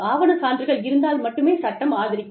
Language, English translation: Tamil, The law only supports, documentary evidence